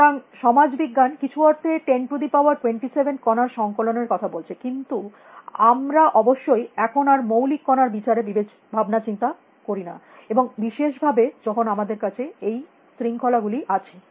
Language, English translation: Bengali, So, social science in some sense is talking about collections of 10 raise to 27 particles, but we do not, obviously, think in terms of fundamental particles any longer, and we have these different disciplines especially